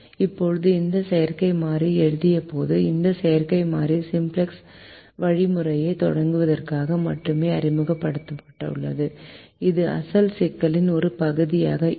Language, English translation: Tamil, now, when wrought this artificial variable, this artificial variable was introduce only for the sake of starting the simplex algorithm and this was not part of the original problem